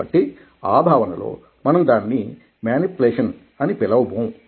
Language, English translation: Telugu, so in that sense we wouldnt call it manipulation